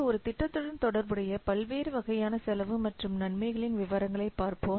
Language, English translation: Tamil, So we'll see the details of the different types of the cost and benefits associated with a project